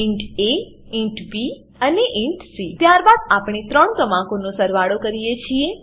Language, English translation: Gujarati, Int a, int b and int c Then we perform addition of three numbers